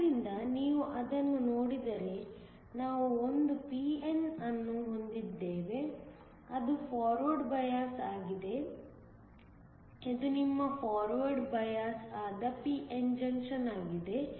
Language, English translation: Kannada, So, if you look at it we have one p n junction that is forward biased; this is your forward biased p n junction